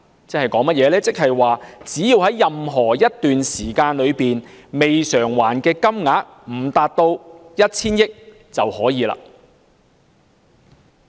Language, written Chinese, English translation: Cantonese, "即是說只要在任何一段時間內，未償還的金額未達 1,000 億元，政府便可繼續發債。, That is to say so long as the outstanding amount under the Programme does not reach 100 billion at any time the Government may continue to issue bonds